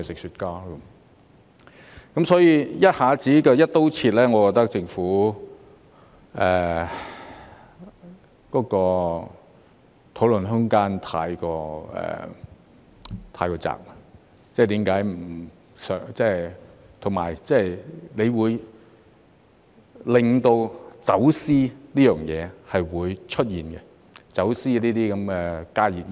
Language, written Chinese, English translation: Cantonese, 所以，一下子"一刀切"，我覺得政府的討論空間太窄，而且這樣做會令走私活動出現，即走私加熱煙等。, Therefore when a ban is imposed across the board in one go I think the Government has allowed too narrow a room for discussion and worse still this will give rise to smuggling activities ie . the smuggling of HTPs etc